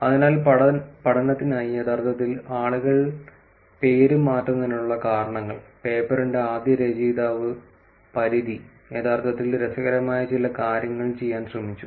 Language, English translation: Malayalam, So, for studying, actually the reasons why people change the name, Paridhi, the first author of the paper actually tried doing some interesting things